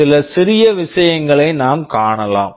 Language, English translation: Tamil, We can see some smaller things